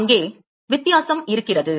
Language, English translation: Tamil, There is a difference